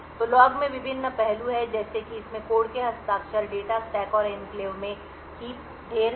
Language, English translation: Hindi, So, the log contains the various aspects like it has signatures of the code, data stack and heap in the enclave